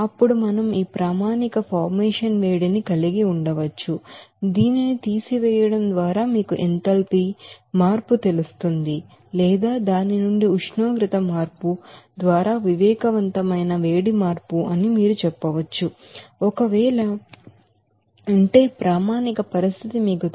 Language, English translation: Telugu, Then we can have this standard heat of formation just by subtracting this you know enthalpy change or you can say that sensible heat change by the change of temperature from its you know standard condition if is there